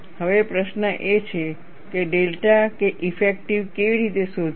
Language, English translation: Gujarati, Now, the question is, how to find delta K effective